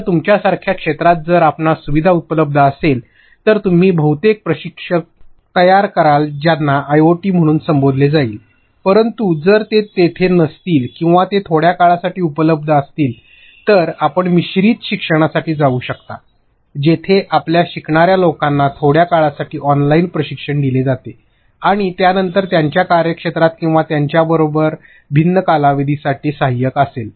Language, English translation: Marathi, So, if you have a facilitator in field like along with you, then you would mostly be creating an instructor like training which is referred to as an IoT, but if that is not there or they are available for a brief period of time, then you can go in for a blended learning, where in your learners have an online training for a brief period of time and then you have the facilitator on field or with them for a different period of time